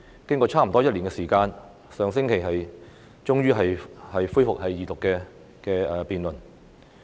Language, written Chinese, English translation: Cantonese, 經過差不多一年的時間，《條例草案》終於在上星期恢復二讀辯論。, After almost a year the Second Reading debate on the Bill was finally resumed last week